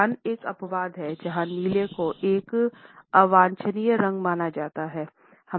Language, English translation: Hindi, Iran is an exception where blue is considered as an undesirable color